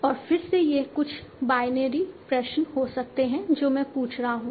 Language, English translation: Hindi, And again these can be some binary questions that I am asking